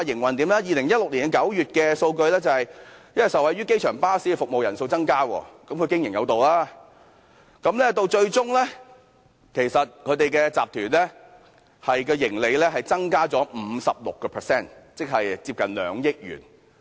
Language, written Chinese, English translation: Cantonese, 根據2016年9月的數據，受惠於機場巴士服務的乘客量增加——即是它經營有道——新創建集團的盈利增加了 56%， 即接近2億元。, According to the statistics of September 2016 benefited from an increase in the number of passengers of airport bus routes the well - run NWS Holdings Limited has increased its profit by 56 % or nearly 200 million